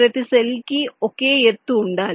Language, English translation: Telugu, this cells have this same height